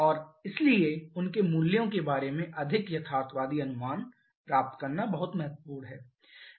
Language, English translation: Hindi, And therefore it is very important to get a more realistic estimate about their values